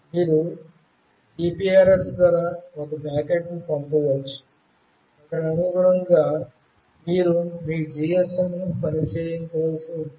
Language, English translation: Telugu, You can send a packet through GPRS, so accordingly you have to make your GSM work upon